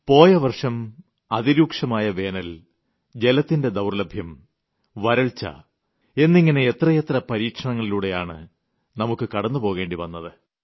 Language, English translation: Malayalam, Last year, we had to endure so many trials the scorching heat of the summer, scarcity of water, drought conditions and so on